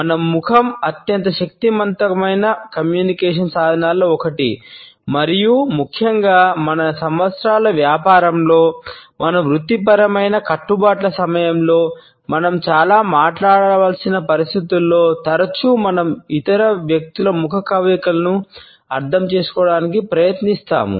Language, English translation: Telugu, Our face is one of the most powerful communication tools and particularly in the situations where we have to talk a lot during our business of years, during our professional commitments, we find that often we try to interpret the facial expressions of other people